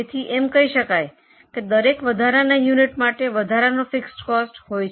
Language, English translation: Gujarati, So, for every extra unit, there is an extra fixed cost